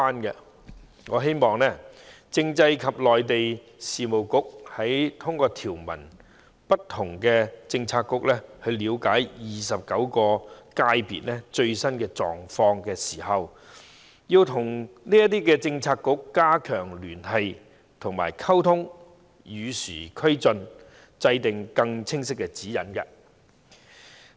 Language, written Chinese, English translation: Cantonese, 因此，我希望政制及內地事務局通過不同政策局了解29個界別的最新狀況時，要與這些政策局加強聯繫及溝通，與時俱進，制訂更清晰的指引。, Therefore I hope the Constitutional and Mainland Affairs Bureau will through different Policy Bureaux grasp the latest situation of the 29 FCs . The Bureau should strengthen its liaison and communication with other Policy Bureaux to keep pace with the times and formulate clearer guidelines